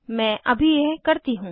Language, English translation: Hindi, Let me do that now